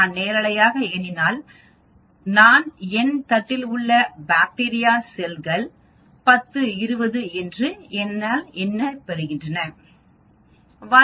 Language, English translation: Tamil, Like I said if I am counting the number of live bacterial cells in my plate I get a number say 10 power 20